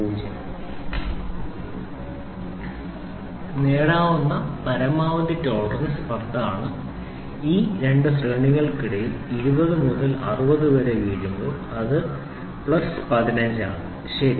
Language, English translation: Malayalam, Obtainable tolerance is 10 and when it is falls between these 2 range 20 to 60 it is plus 15, ok